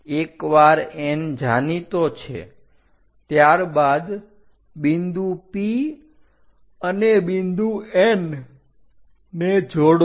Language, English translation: Gujarati, Once N is known join P point and N point